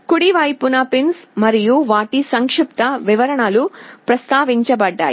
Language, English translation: Telugu, On the right the pins and their brief descriptions are mentioned